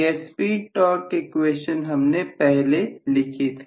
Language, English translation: Hindi, This is what we wrote as the speed torque equation, right